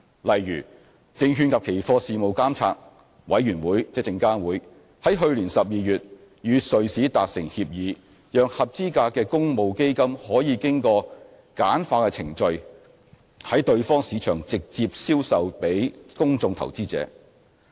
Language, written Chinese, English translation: Cantonese, 例如，證券及期貨事務監察委員會於去年12月與瑞士達成協議，讓合資格的公募基金可經簡化的程序在對方市場直接銷售予公眾投資者。, For example the Securities and Futures Commission SFC entered into an agreement with the Swiss authorities in December last year so that eligible public funds would be allowed to gain direct access to the investing public in the market of the other side through a streamlined process